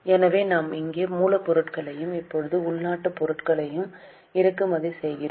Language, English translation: Tamil, So, we had here imported raw material and now indigenous raw material